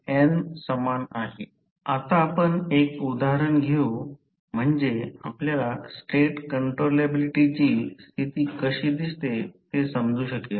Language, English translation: Marathi, Now, let us take one example so that you can understand how we find the State controllability condition